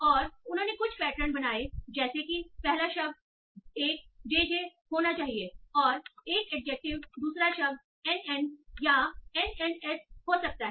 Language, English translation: Hindi, And they build some patterns like the first word should be a JJ, an adjective, second word can be an NN or NNS